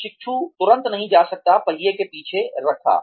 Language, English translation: Hindi, The trainee cannot be immediately, put behind the wheel